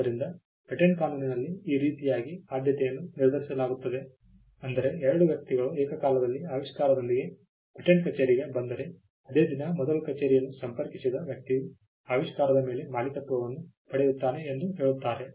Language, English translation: Kannada, So, this is how priority is determined in patent law which means if two people simultaneously came up with an invention say on the same day the person who approached first the patent office will get the ownership over the invention